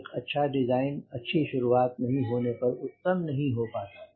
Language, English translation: Hindi, a good design, unless it has a good beginning, it can never become excellent right